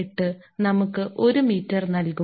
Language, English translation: Malayalam, 248 that will give you one meter